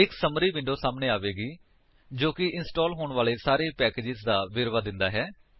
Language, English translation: Punjabi, A Summary window appears showing the details of the packages to be installed